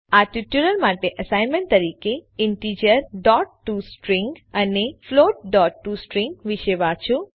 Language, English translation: Gujarati, As an assignment for this tutorial Read about the Integer.toString and Float.toString